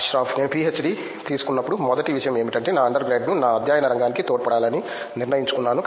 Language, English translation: Telugu, The first thing when I took a PhD was like I decided my under grade that I wanted to contribute to my field of study